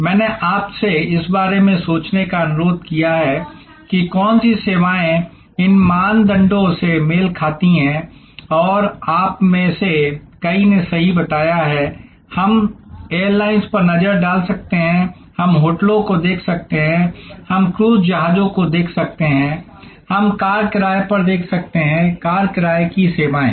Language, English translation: Hindi, I requested you to think about, what services can match these criteria and as many of you have rightly pointed out, we can look at airlines, we can look at hotels, we can look at cruise ships, we can look at car rentals, car rental services